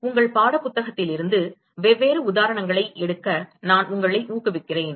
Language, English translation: Tamil, So, I really encourage you to take different examples from your textbook